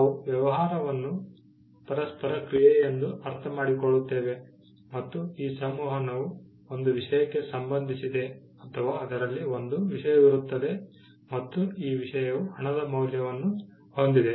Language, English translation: Kannada, We understand the business as an interaction and this interaction pertains to a thing, there is a thing involved and this thing has value